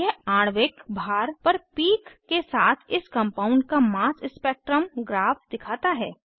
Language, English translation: Hindi, It shows a graph of mass spectrum with a peak at Molecular weight of the compound